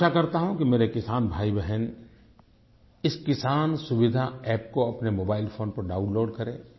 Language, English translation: Hindi, I hope that my farmer brothers and sisters will download the 'Kisan Suvidha App' on their mobile phones